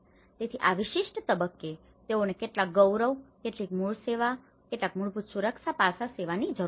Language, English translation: Gujarati, So, this particular phase they need to be served with some dignity, some basic services, some basic safety aspect